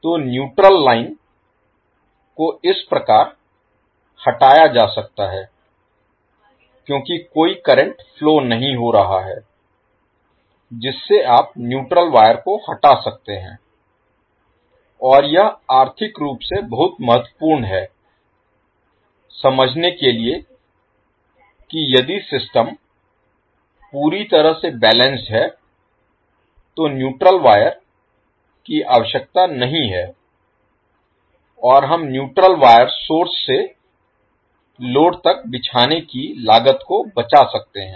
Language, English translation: Hindi, So neutral line can thus be removed because since, there is no current flowing you can remove the neutral wire and this is economically very important to understand that if the system is completely balanced the neutral wire is not required and we save cost of laying the neutral wire from source to load